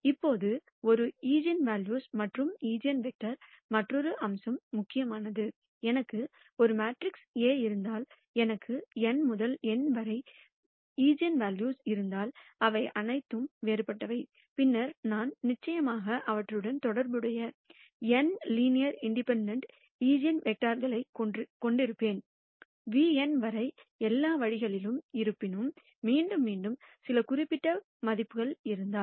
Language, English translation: Tamil, Now, there is another aspect of an eigenvalues and eigenvectors that is important; if I have a matrix A and I have n different eigenvalues lambda1 to lambda n, all of them are distinct, then I will definitely have n linearly independent eigenvectors corresponding to them which could be nu one; nu 2 all the way up to nu n; however, if there are certain eigenvalues which are repeated